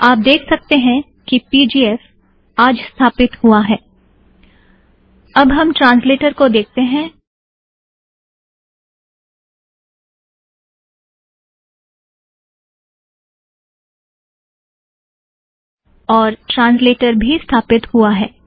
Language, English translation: Hindi, you can see that pgf is installed today, then, we are looking at translator, translator is also installed